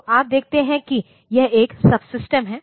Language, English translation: Hindi, So, you see that it is a subsystem